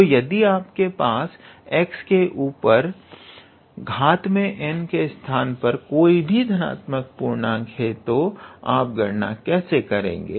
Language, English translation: Hindi, So, if you have any positive integer sitting at x to the power sitting at the place of n, then how do you evaluate actually